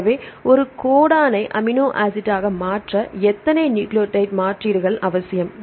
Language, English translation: Tamil, So, how many nucleotide substitutions are necessary to convert a codon to an amino acid right